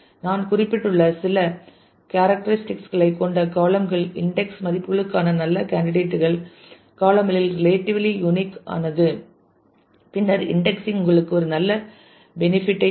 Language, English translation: Tamil, The columns with some of the characteristics I have just noted down are good candidates for indexing values are relatively unique in the column, then indexing will give you a good benefit